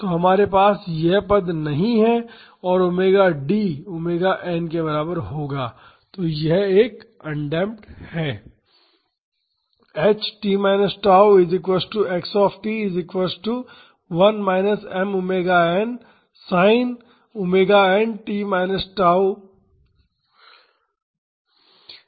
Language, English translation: Hindi, So, we do not have this term and omega D will be equal to omega n, then it is a undamped system